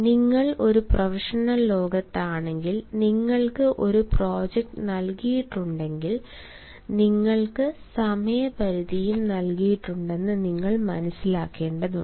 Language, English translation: Malayalam, if you are in a professional world, you will have to realize that if you have been given a project, you have also been given a time limitation